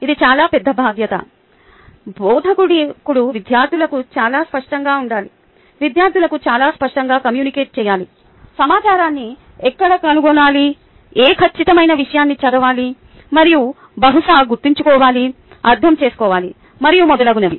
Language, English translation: Telugu, the instructor needs to be very clear to the students, must very clearly communicate to the students where to find the information, what exact a material to be read and probably remembered, understood, and so on, so forth